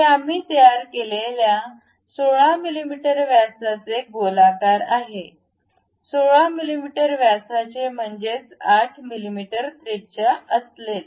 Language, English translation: Marathi, This is a circular one of 16 mm we construct, 16 mm diameter; that means, 8 mm radius